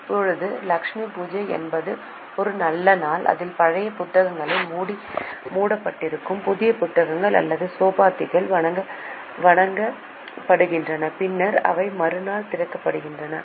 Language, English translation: Tamil, Now Lakshmi Puja is an auspicious day on which the old books are closed, new books or chopopis are worshipped and then they are opened on the next day